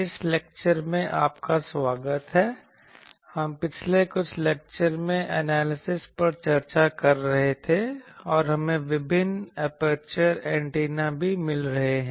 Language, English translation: Hindi, Welcome to this lecture, we were in the last few lectures discussing the analysis and also we are finding various aperture antennas